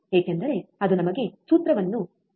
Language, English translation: Kannada, Because that we know the formula